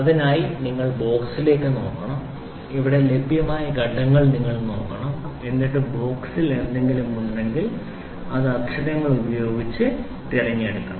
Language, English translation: Malayalam, So, you have to look at the box, you have to look at the steps here available and then you have to pick whatever is there in the box you just have to pick with the letters one